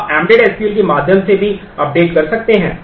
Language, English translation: Hindi, You can do updates through embedded SQL as well